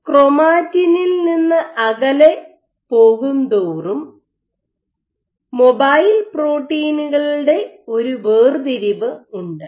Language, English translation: Malayalam, So, suggesting that there is a segregation of mobile proteins away from chromatin